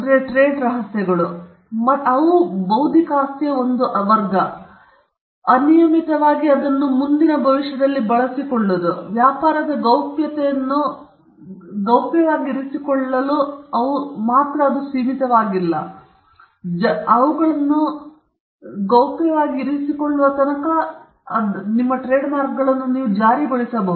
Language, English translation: Kannada, Trade secrets they are, again, a category of intellectual property right which fall with in the unlimited life IP; they are not limited by, if you can keep the trade secret confidential, then you can enforce it as long as they are kept confidential